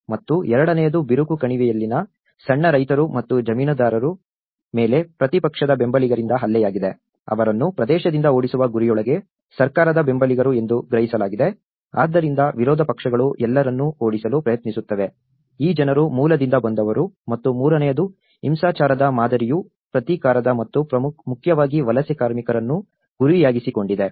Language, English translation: Kannada, and the second was an onslaught by opposition supporters on small farmers and landholders in the rift Valley, perceived to be government supporters within the aim of driving them away from the region, so that is also how opposition parties you know make an attempt to drive all these people from the origin and the third one is of the pattern of violence was retaliatory and targeted mainly at the migrant workers